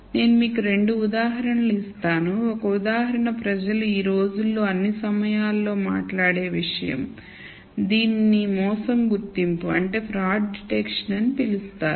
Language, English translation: Telugu, So, I will give you 2 examples one example is something that people talk about all the time nowadays which is called fraud detection